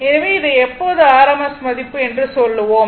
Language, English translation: Tamil, So, when you do it this thing in rms value